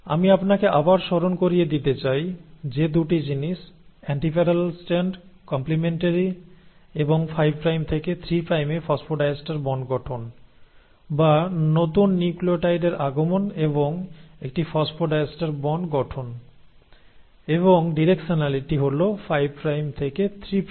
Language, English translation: Bengali, Now, I will, want you to remember again I am reiterating 2 things, antiparallel strands, complementarity and formation of phosphodiester bonds from 5 prime to 3 prime, or the incoming of the newer nucleotide and formation of a phosphodiester bonds and hence are directionality in 5 prime to 3 prime